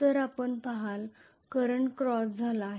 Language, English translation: Marathi, So you would see that the current has become cross